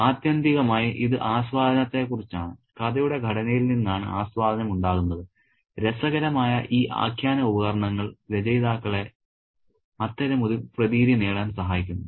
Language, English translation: Malayalam, Ultimately it's about enjoyment and that enjoyment comes from the way the story is structured and these interesting narrative devices help the authors achieve such an effect